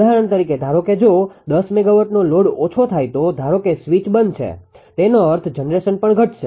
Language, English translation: Gujarati, Suppose take for example, if 10 megawatt load decreases suppose switched off; that means, generation also will decrease, right